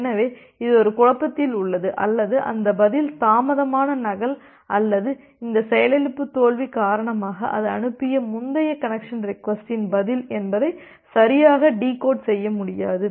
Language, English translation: Tamil, So, it is in a dilemma or it will not be able to correctly decode whether that reply is the delayed duplicate or because of this crash failure the reply of the earlier connection request that it has sent